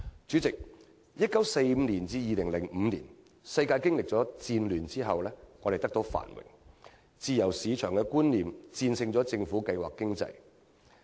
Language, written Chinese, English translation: Cantonese, 主席，由1945年至2005年，世界經歷了戰後的繁榮，自由市場觀念戰勝政府計劃經濟。, President during the postwar boom of the world economy from 1945 to 2005 free market economies gained the upper hand over command economies